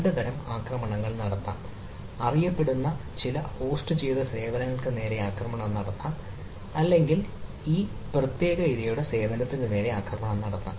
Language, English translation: Malayalam, so two type of attacks can take place: attack on some known hosted services or attack on a particular [vic/victim] victim services